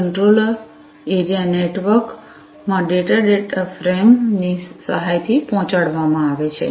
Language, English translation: Gujarati, The data in Controller Area Network is conveyed with the help of data frame like before, right